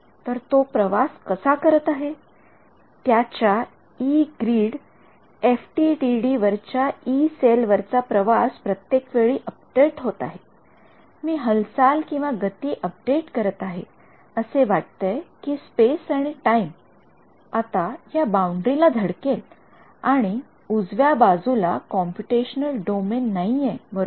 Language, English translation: Marathi, So, how is it traveling its traveling on the Yee cell on the Yee grid FDTD is updating every time I am updating moving the feels let us say a space and time, now hits this boundary and there is no computational domain to the right